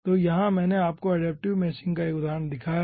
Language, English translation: Hindi, so here i have shown you 1 example of adaptive meshing